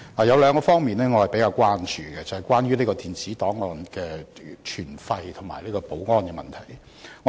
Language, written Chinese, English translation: Cantonese, 有兩方面我較為關注，便是電子檔案的存廢和保安的問題。, I am more concerned about two aspects namely the disposal and security of electronic records